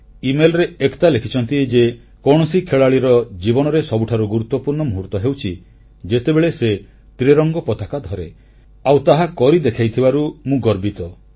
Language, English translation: Odia, Ekta in her email writes 'The most important moment in the life of any athlete is that when he or she holds the tricolor and I am proud that I could do that